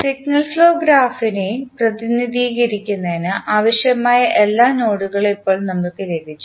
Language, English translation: Malayalam, So, now you have got all the nodes which are required to represent the signal flow graph